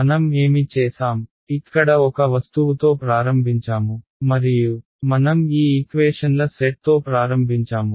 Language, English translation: Telugu, What have we done we started with an object over here and we started with these sets of equations